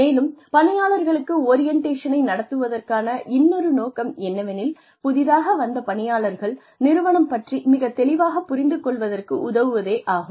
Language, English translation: Tamil, Then, another purpose of orienting employees is, to help the new employee, understand the organization in a broad sense